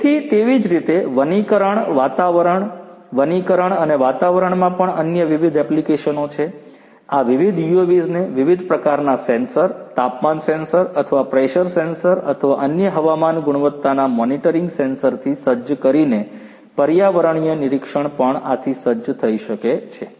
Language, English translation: Gujarati, So, likewise there are different other applications in the forestry environment, forestry and environment as well, environmental monitoring by equipping these different these UAVs with different types of sensors temperature sensor or pressure sensor or different other you know air quality monitoring sensors could also be equipped with these different UAVs